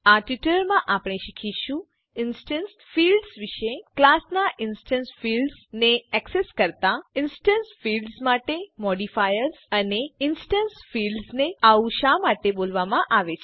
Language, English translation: Gujarati, In this tutorial we will learn About instance fields To access the instance fields of a class Modifiers for instance fields And Why instance fields are called so